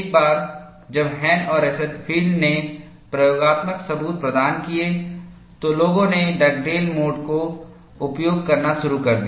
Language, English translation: Hindi, Once Hahn and Rosenfield provided the experimental evidence, people started using Dugdale mode